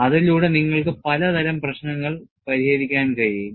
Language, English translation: Malayalam, And with that, you could solve a variety of problems